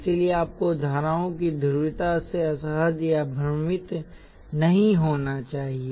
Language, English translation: Hindi, So you should not get uncomfortable or unconfused with polarities of currents